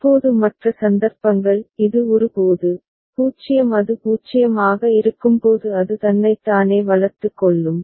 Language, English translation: Tamil, Now the other cases when this a was there, so 0 when it is 0 it will be looping itself